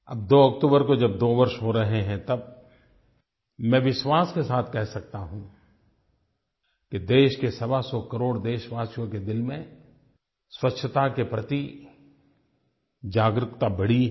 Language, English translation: Hindi, Now it is going to be nearly two years on 2nd October and I can confidently say that one hundred and twenty five crore people of the country have now become more aware about cleanliness